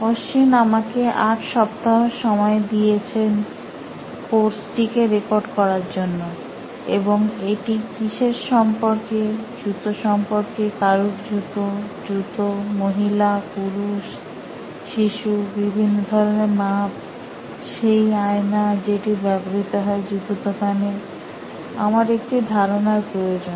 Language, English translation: Bengali, Ashwin has given me 8 weeks to record this course and what is it about, something about shoes, somebody shoes, shoes, woman, man, child, different sizes, that mirror that you use in a shoe shop, I need ideas